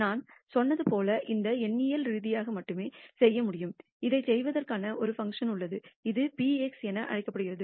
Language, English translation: Tamil, And as I said this can only be done numerically and there is a function for doing this it is called p xxx